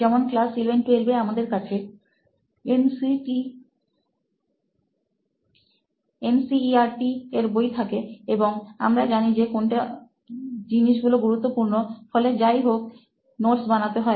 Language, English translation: Bengali, So like in 11th, 12th we have NCERT few books, and we know that these things are going to be important thing and we have to note these things whatever it is